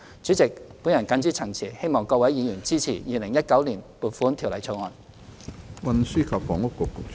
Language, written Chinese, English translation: Cantonese, 主席，我謹此陳辭，懇請議員支持《2019年撥款條例草案》。, With these remarks President I implore Members to support the Appropriation Bill 2019